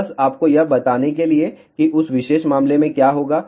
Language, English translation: Hindi, So, just to tell you so, what will happen in that particular case